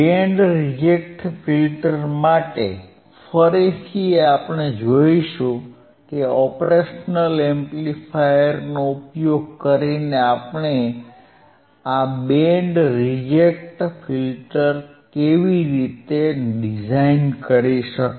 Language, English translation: Gujarati, Again, for band reject filter, we will see how we can design this band reject filter using operational amplifier